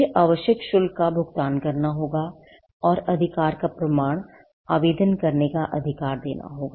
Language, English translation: Hindi, Then, the required fees has to be paid; and the proof of right, the right to make an application has to be given